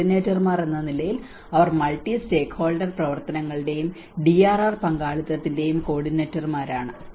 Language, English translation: Malayalam, As coordinators, so they are coordinators of multi stakeholder activities and DRR partnerships